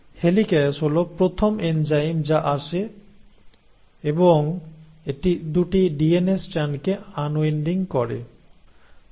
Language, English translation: Bengali, So the helicase is the first enzyme which comes in and it causes the unwinding of the 2 DNA strands